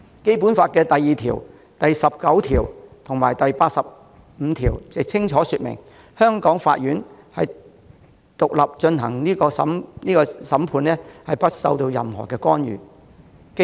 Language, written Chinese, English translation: Cantonese, 《基本法》第二條、第十九條及第八十五條也清楚訂明，香港法院獨立進行審判，不受任何干涉。, Articles 2 19 and 85 of the Basic Law also clearly specify that the courts of the Hong Kong shall exercise judicial power independently free from any interference